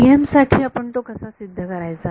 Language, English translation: Marathi, For the TM case how will be prove it